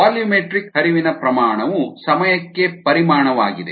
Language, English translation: Kannada, a volumetric flow rate is volume per time